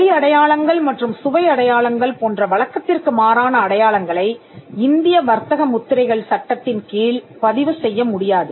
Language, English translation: Tamil, Unconventional marks like sound mark, smell marks and taste marks cannot be registered under the Indian trademarks act